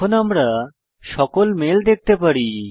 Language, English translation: Bengali, We can view all the mails now